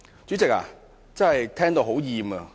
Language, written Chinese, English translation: Cantonese, 主席，我真的聽到生厭。, President I am really tired of listening to such speeches